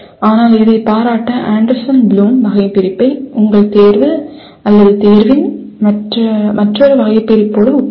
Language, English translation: Tamil, But to appreciate that compare Anderson Bloom Taxonomy with another taxonomy of your selection/choice